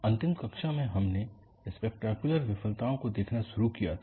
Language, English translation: Hindi, In the last class, we had started looking at spectacular failures